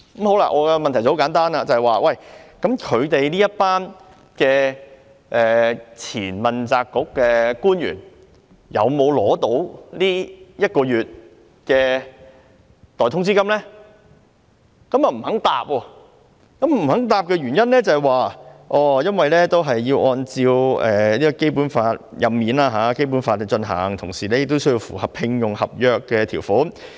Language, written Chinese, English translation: Cantonese, 我的問題很簡單，就是這些前問責官員有沒有獲得一個月代通知金，但政府不肯回答，而政府給予的原因是，"所有主要官員的任免均須按照《基本法》進行，同時亦須符合聘用合約的條款。, My question is very simple . I asked whether these former accountability officials have received the payment of one months salary in lieu of notice but the Government refused to give a reply . The reason given by the Government is that [t]he appointment and removal of all principal officials must be conducted in accordance with the Basic Law and must also comply with the terms of employment agreement